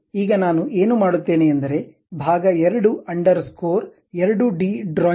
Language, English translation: Kannada, Now, what I will do is part 2 underscore 2 d drawing